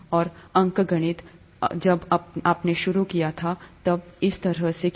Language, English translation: Hindi, And arithmetic, when you started out, was done that way